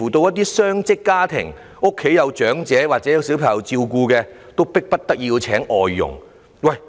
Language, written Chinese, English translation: Cantonese, 一些雙職家庭，家裏有長者或小孩子需要照顧，聘請外傭是迫不得已之舉。, Some dual - income families have elders and children who are in need of care and they have to hire foreign domestic helpers